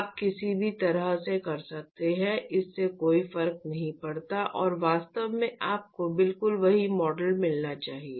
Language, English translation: Hindi, You could do either way, it does not matter and in fact, you should get exactly the same model